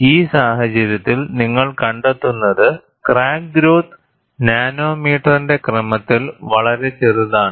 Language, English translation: Malayalam, And in this case, what you find is, the crack growth is extremely small, of the order of nanometers